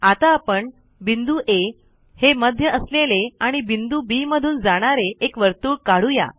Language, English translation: Marathi, Let us now construct a circle with center A and which passes through point B